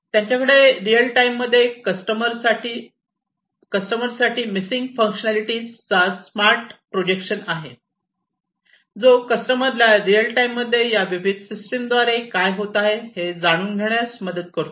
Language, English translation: Marathi, So, they have smart projection of missing functionalities to customers in real time, which basically helps the customers to know in real time, what is happening with these different systems